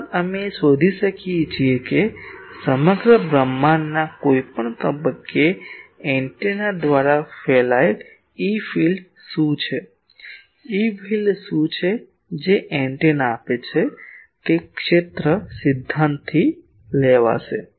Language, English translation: Gujarati, Also we will be able to find out what are the fields radiated by the antenna at any point in the whole universe; what is the field that antenna gives that will come from field theory